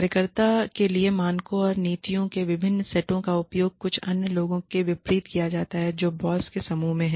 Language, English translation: Hindi, Different set of standards or policies, used for the worker, as opposed to some other people, who are in the, in group of the boss